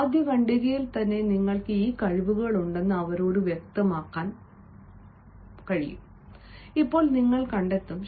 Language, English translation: Malayalam, now you will find that in the very first paragraph you are going to clarify to them that you possess these skills